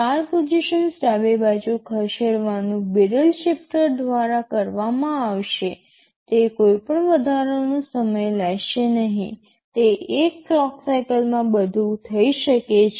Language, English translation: Gujarati, So shifted left by 4 positions will be done by the barrel shifter, it will not take any additional time, in that single clock cycle everything can be done